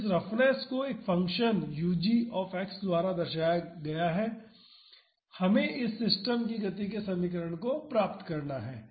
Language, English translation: Hindi, So, the roughness is represented by a function u g X we have to derive the equation of motion of this system